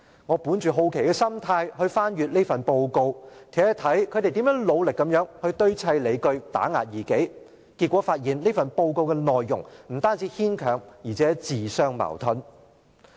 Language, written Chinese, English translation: Cantonese, 我本着好奇的心態翻閱這份報告，看看他們如何努力堆砌理據打壓異己，結果發現其內容不但牽強，而且自相矛盾。, Out of curiosity I have read the report to see how they strove to string reasons together to suppress a dissident . I found that the contents are not only far - fetching but also self - contradictory